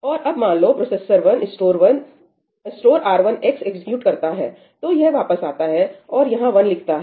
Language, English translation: Hindi, And now, let us say that processor 1 executes ëstore R1 xí, so, this comes back and it writes 1 over here